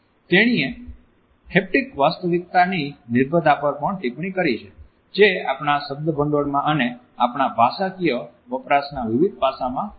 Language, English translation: Gujarati, She has also commented on the reliance on haptic reality which has seeped into our vocabulary and in different aspects of our linguistic usages